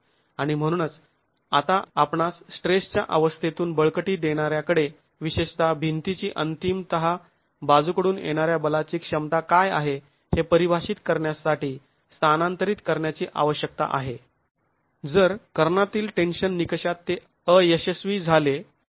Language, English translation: Marathi, And therefore we need to now transfer from the state of stress to the force resultants especially to define what is the ultimate lateral force capacity of the wall if it were to fail in a diagonal tension criterion